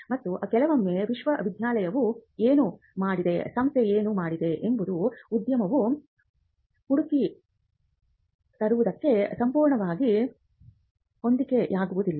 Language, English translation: Kannada, And sometimes what the institute has done the university has done may not be completely in sync with what the industry is looking for